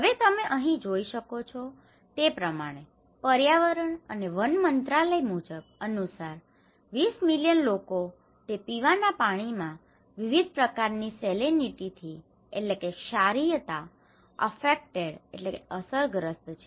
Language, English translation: Gujarati, Now, here you can see that a Ministry of Environment and Forests, 20 million people affected by varying degree of salinity in their drinking water okay